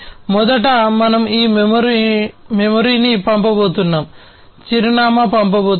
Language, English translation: Telugu, So, first of all we are going to send this memory is going to send the address